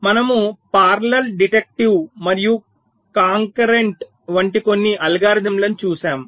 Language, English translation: Telugu, we looked at some algorithms like parallel, deductive and concurrent